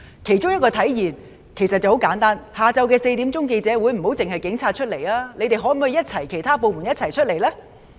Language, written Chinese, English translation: Cantonese, 其中一個體現方式其實十分簡單，就是下午4時的記者會，不要只是警察出席，其他部門可否一起出席呢？, One of the ways to manifest this is actually very simple and that is the press conference at 4col00 pm . Can other departments attend the press conference as well instead of just having the Police Force to be present on their own?